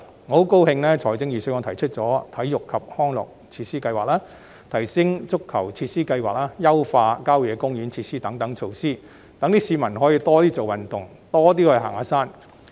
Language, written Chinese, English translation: Cantonese, 我很高興預算案提出了體育及康樂設施計劃、提升足球場設施計劃、優化郊野公園設施等措施，讓市民可以多運動、多行山。, I am very glad that the Budget has put forward measures such as the plan for sports and recreational facilities the plan for upgrading football pitches and enhancement of facilities in country parks so that people can get more involved in sports and hiking